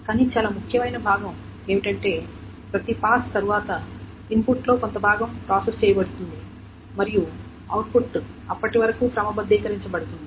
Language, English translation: Telugu, But the more important part is that after every pass, some part of the input is processed and the output is sorted up to that point